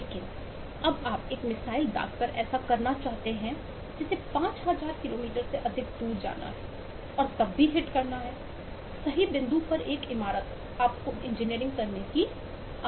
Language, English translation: Hindi, but when you want to do that with by firing a missile which has to go over 5000 kilometers and still hit a building at right point, you need to do engineering